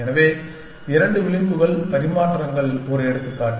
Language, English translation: Tamil, So, 2 edge exchanges just one example